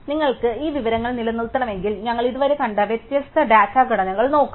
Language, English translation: Malayalam, So, if you want to maintain this information, let us try and look at the different data structures we have seen, so far